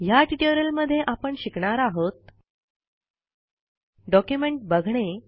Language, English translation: Marathi, In this tutorial we will learn the following: Viewing Documents